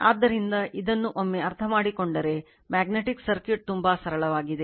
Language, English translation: Kannada, So, once you understand this, you will find magnetic circuit is very simple right